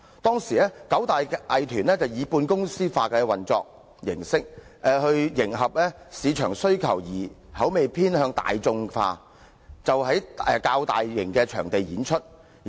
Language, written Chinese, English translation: Cantonese, 當時，九大藝團以半公司化模式運作，為迎合市場需求而口味偏向大眾化，因而在較大型場地演出。, The nine major performing arts groups all operated as semi - corporatized organizations and in order to meet market demand they suited their performances to the tastes of the masses so they performed in larger venues